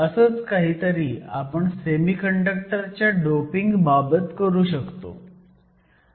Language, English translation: Marathi, So, we can do something similar in case of doping in semiconductor as well